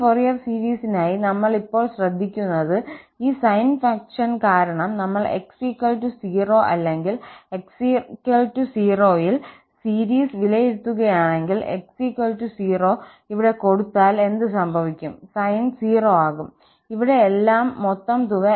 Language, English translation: Malayalam, What we notice now for this Fourier series, that if we substitute there x equal to 0 or we evaluate the series at x equal to 0 because of this sine function, if we put here x equal to 0, what will happen, the sine will become 0 and everything here, the whole sum will become 0 at x equal to 0